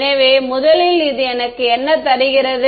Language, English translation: Tamil, So, first term what does it give me